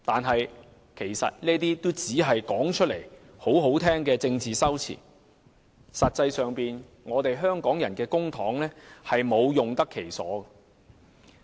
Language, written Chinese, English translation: Cantonese, 可是，這些只是說起來很動聽的政治修辭，實際上香港的公帑卻沒有用得其所。, Nonetheless all these are merely political rhetoric that is pleasant to the ear . But practically the public money of Hong Kong has not been spent properly